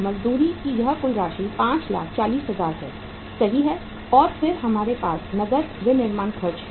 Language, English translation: Hindi, This total amount of the wages is 5,40,000 right and then we have the cash manufacturing expenses